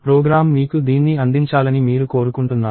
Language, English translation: Telugu, You want the program to give you this